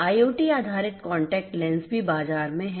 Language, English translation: Hindi, IoT based contact lenses are also there in the market